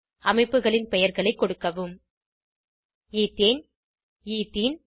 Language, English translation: Tamil, Enter the names of the structures as Ethane, Ethene and Ethyne